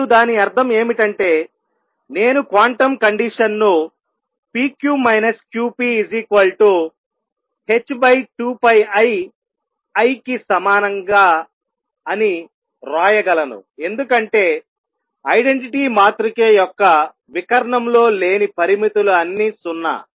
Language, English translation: Telugu, And what; that means, is that I can write the quantum condition as p q minus q p equals h over 2 pi i times the identity matrix because all the off diagonal limits of identity matrix are 0